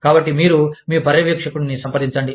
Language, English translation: Telugu, So, you approach, your supervisor